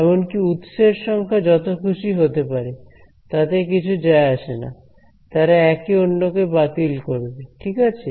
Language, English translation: Bengali, Even the number of sources can be as many it does not matter they all cancel off